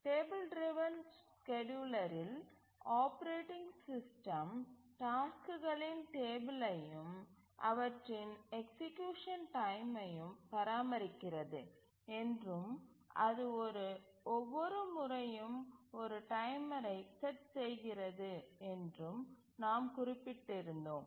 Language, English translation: Tamil, We had mentioned that in the table driven scheduler the operating system maintains a table of the tasks and their time of execution and it sets a timer each time